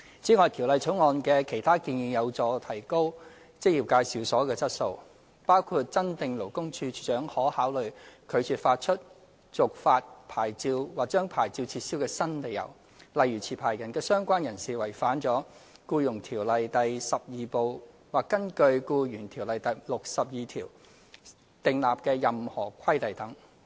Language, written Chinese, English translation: Cantonese, 此外，《條例草案》的其他建議有助提高職業介紹所的質素，包括增訂勞工處處長可考慮拒絕發出/續發牌照或將牌照撤銷的新理由，例如持牌人或相關人士違反了《僱傭條例》第 XII 部或根據《僱傭條例》第62條訂立的任何規例等。, Furthermore other proposals made in the Bill will help upgrade the quality of employment agencies . Those include the introduction of new grounds for the Commissioner for Labour to consider refusing to issue or renew or revoke a licence such as the contravention of any provision of Part XII of EO or any regulation made under section 62 of EO by a licensee or its associates